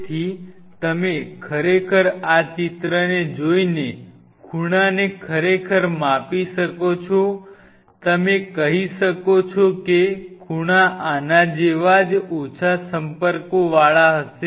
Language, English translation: Gujarati, So, you can really measure the angle just by looking at this picture you can say angle will be something like this very little contact are there narrow contact